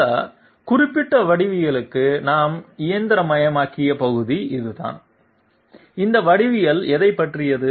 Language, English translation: Tamil, This is the part that we have machined for this particular geometry, what does this geometry what does this geometry concerned with